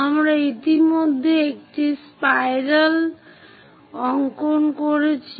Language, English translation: Bengali, On sheet, we have already drawn a spiral